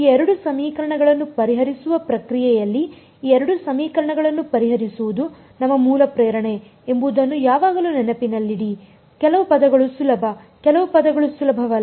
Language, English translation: Kannada, Always keep in mind that our basic motivation is to solve these two equations in the process of solving these two equations some terms are easy some terms are not easy